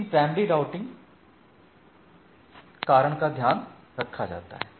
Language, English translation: Hindi, But the primary routing reason is taken care by this thing right